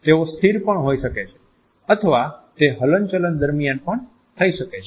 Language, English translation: Gujarati, They can also be static or they can be made while in motion